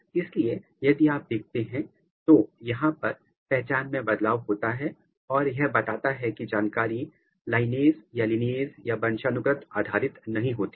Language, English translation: Hindi, So, if you look here so, there is a change of the identity this suggests or this tells that the information is not lineage dependent